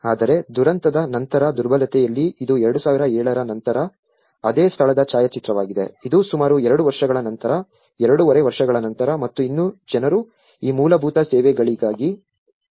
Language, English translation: Kannada, Whereas, in post disaster vulnerability this is the photograph of the same place after 2007 which is after almost two years, two and half year and still people, still struggling for these basic services